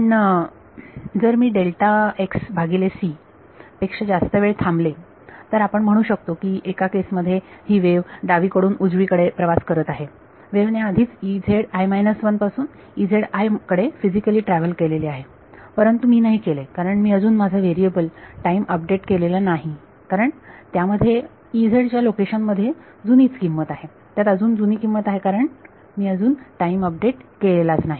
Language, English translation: Marathi, But if I wait for a time greater than delta x by c then the wave has which is let us say in one case travelling from left to right the wave has already travelled from E z i minus 1 to E z i has physically travelled, but I did not since I have not yet done a time update my variable still contained the old value in the location of E z i it still has an old value because I have not done the time update